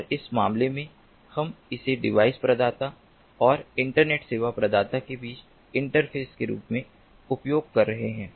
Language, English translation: Hindi, it is useful and in this case we are using it between, as an interface between the device provider and the internet service provider